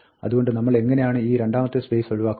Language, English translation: Malayalam, So, how do we get rid of this space, the second space, right